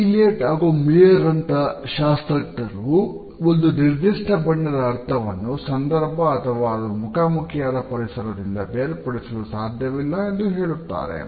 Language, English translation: Kannada, Other theorists like Elliot and Maier have also suggested that the meaning of a particular color cannot be dissociated from the context or the environment in which it is encountered